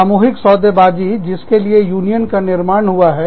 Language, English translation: Hindi, Collective bargaining, is what unions are formed for